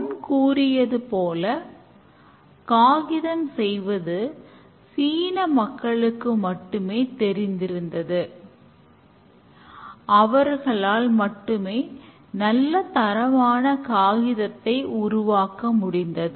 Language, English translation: Tamil, Let's say paper making was known to some people in China and only they could develop good quality paper